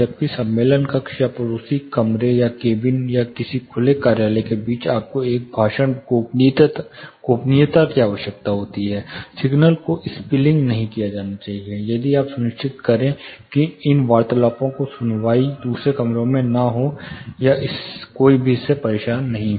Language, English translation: Hindi, Whereas between the conference room on the neighbouring room or the cabin or an open office, you need a speech privacy, you know signal should not be spilling over, so that you ensure there is over hearing of these conversations, or one is not disturbed by the other, it is both way